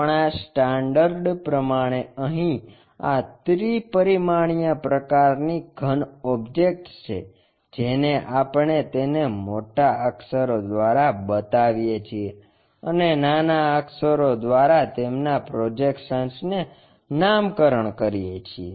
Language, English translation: Gujarati, Our standard convention is this three dimensional kind of objects we show it by capital letters and projections by small letters